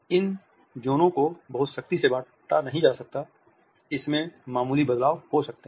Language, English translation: Hindi, These zones are not compartmentalized very strictly there may be minor variations